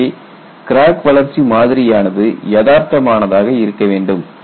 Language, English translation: Tamil, So, the crack growth model has to be realistic